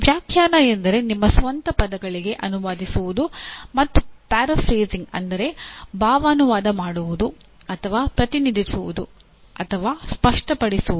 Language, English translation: Kannada, Interpretation means translating into your own words or paraphrasing or represent or clarify